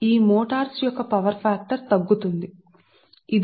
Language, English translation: Telugu, the power factor of these motors falls with the decrease of load